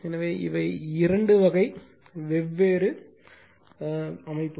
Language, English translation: Tamil, So, these are the two type differenttwo different type of construction